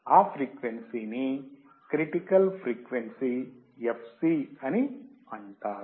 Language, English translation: Telugu, That frequency is called critical frequency fc